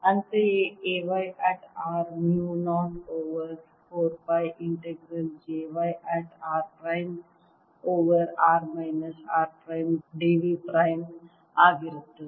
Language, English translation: Kannada, similarly, a y at r is going to be mu naught over four pi integral j y at r prime over r minus r prime d v prime and a